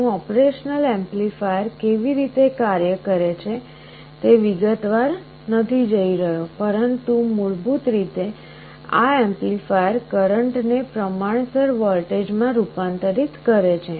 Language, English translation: Gujarati, I am not going to the detail how an operational amplifier works, but basically this amplifier converts the current into a proportional voltage